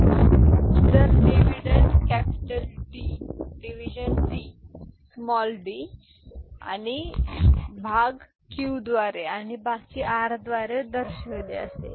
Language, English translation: Marathi, And if dividend is represented by capital D divisor by small d quotient by q and remainder by r then this is what you get ok